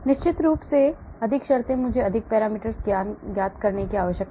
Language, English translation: Hindi, And of course more the terms I need to have more parameters known